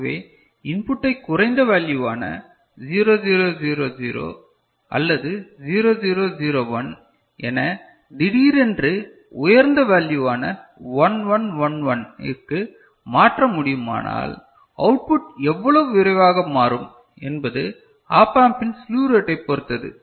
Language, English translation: Tamil, So, if you can change the input right from a low value say 0 0 0 0 or 0 0 0 1 to a suddenly high value, say 1 1 1 1, but how quickly the output will change that depends on the slew rate of the op amp ok